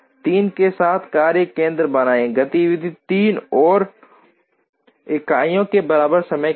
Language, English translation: Hindi, Create a 2nd workstation with 3, activity 3 and with time equal to 3 units